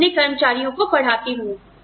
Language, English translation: Hindi, I teach my employees